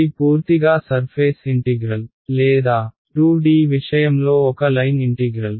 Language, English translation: Telugu, It is purely a surface integral or in the 2D case a line integral